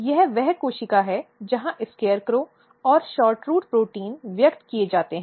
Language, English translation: Hindi, This is the cell where your SCARECROW and SHORTROOT proteins are expressed